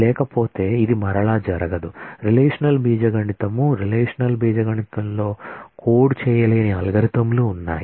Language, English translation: Telugu, Otherwise, this cannot happen again relational algebra is not turing complete in the sense that, there are algorithms which cannot be coded in relational algebra